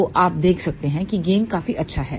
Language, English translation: Hindi, So, you can see that gain is fairly good